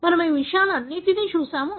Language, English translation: Telugu, So, we have seen all these things